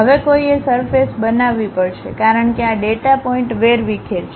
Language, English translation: Gujarati, Now, one has to construct a surface, because these data points are scattered